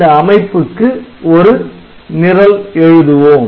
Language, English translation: Tamil, So, for this we will try to write the program